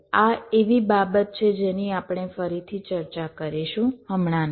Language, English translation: Gujarati, this is something we shall be discussing later, not right now